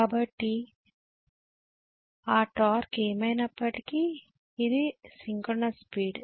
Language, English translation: Telugu, So this is my synchronous speed no matter what whatever is my torque